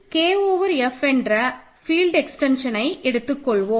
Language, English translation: Tamil, Let K over F be a field extension